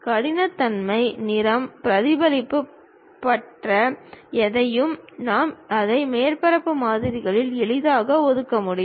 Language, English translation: Tamil, And anything about roughness, color, reflectivity; we can easily assign it on surface models